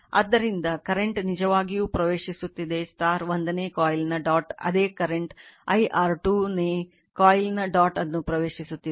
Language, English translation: Kannada, So, current actually entering into the dot of the first coil same current I entering the dot of the your second coil